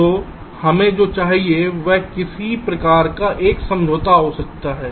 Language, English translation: Hindi, so what we need is some kind of a compromise